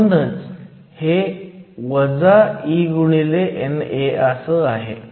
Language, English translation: Marathi, And we have NA > ND